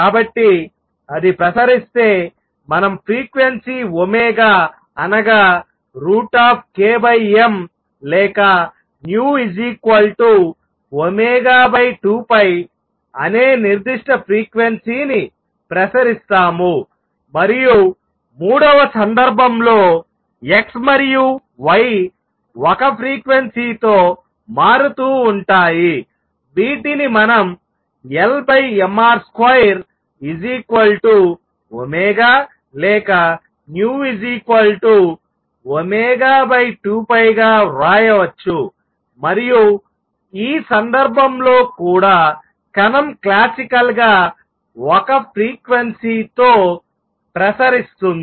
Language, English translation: Telugu, So, if it were to radiate we will radiate that particular frequency omega which is square root of k over m or nu equals omega over 2 pi, and in the third case again x and y vary with one frequency, which we can write as L the angular momentum over m R square equals omega or nu equals omega over 2 pi and in this case also the particle classically radiates only one frequency